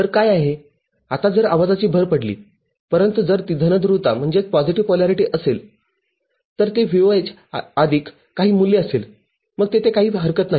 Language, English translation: Marathi, So, what is the now if noise gets added, but if it is positive polarity it will be VOH plus some value then there is no issue